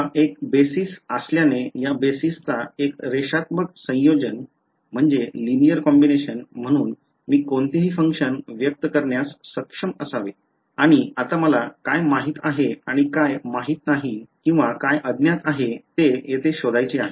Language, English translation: Marathi, Since it is a basis I should be able to express any function as a linear combination of these basis right and now I want to find out what is known and what is unknown here